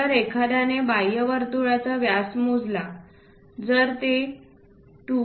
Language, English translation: Marathi, If someone measure the diameter of that outer circle, if it is 2